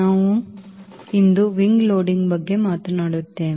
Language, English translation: Kannada, we will be talking about wing loading today